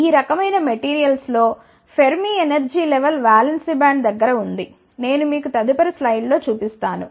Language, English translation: Telugu, In these type of materials the Fermi energy level lies near the valence band, that I will show you in the next slide